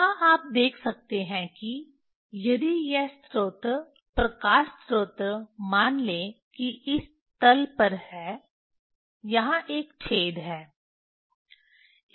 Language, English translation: Hindi, Vernier here you can see if this source of light source say this is on this on this plane, there is a hole here on this plane there is hole